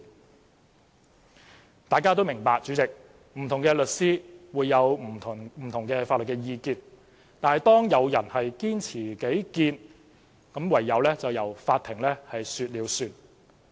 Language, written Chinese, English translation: Cantonese, 主席，大家也明白，不同的律師會有不同法律意見，但當有人堅持己見時，便唯有由法庭說了算。, President Members all understand that different lawyers hold different legal opinions but when they cling to their own opinions the court will have the final say